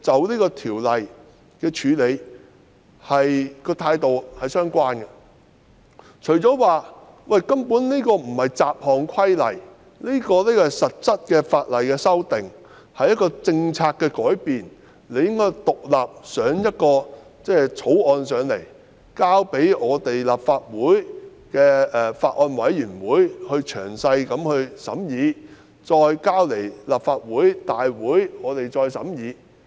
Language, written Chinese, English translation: Cantonese, 因為《條例草案》根本不是對條例作出雜項修訂，而是實質法例的修訂，是政策的改變，理應提交一項獨立的法案，讓立法會成立法案委員會詳細審議，再提交立法會審議。, As the Bill is not simply making miscellaneous amendments to various ordinances but a substantive legal amendment to change the policy a separate bill should be introduced so that the Legislative Council will set up a Bills Committee to conduct an in - depth examination of the bill before submitting the bill to the Legislative Council for scrutiny